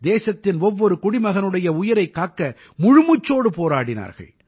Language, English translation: Tamil, Steadfastly, they endured to save the life of each and every citizen of the country